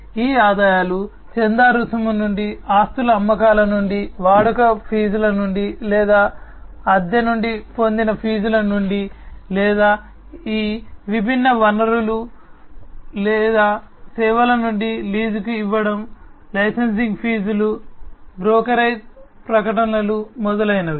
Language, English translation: Telugu, These revenues could be generated from sales of assets from subscription fees, from usage fees or, from fees, that are obtained from the rental or the leasing out of these different resources or the services, the licensing fees, the brokerage, the advertising, etcetera